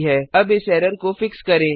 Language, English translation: Hindi, Now Let us fix this error